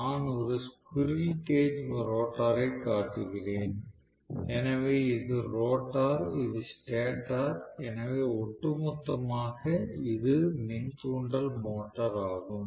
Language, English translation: Tamil, I am showing squirrel cage rotor, so this is the rotor, this is the stator, so overall this is the induction motor okay